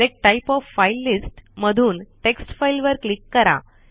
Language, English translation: Marathi, From the Select type of file list, click on Text file